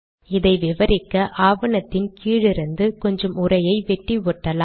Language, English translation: Tamil, To explain this, let me cut and paste some text from the bottom of this document